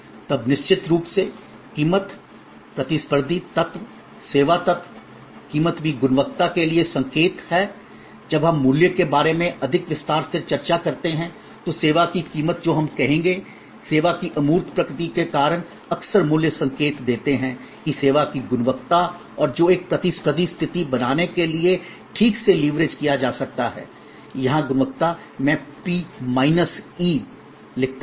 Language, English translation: Hindi, Then there is of course, price, competitive element, service element, price is also signal for quality when we discuss price in more detail, a pricing of service we will say, because of the intangible nature of service often price signals that quality of service and that can be leveraged properly to create a competitive situation, quality here I write P minus E